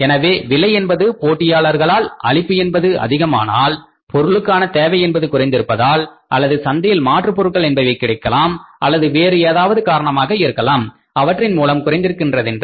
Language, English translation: Tamil, So, if the prices come down because of competition because of the increased supplies because of the lowering demand of the people or maybe say substitutes in the market or anything there could be any reason and any factors